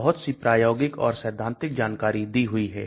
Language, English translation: Hindi, So lot of information is given so experimental and theoretical